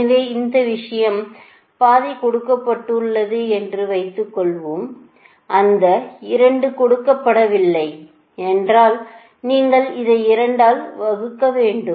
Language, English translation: Tamil, so this thing, it is half is given, suppose it two is not given, then you have to make it divided by two, right, so that means your y y one